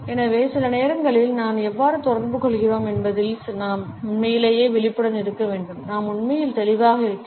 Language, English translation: Tamil, And so, sometimes we have to be really conscious of how are we communicating and are we really being clear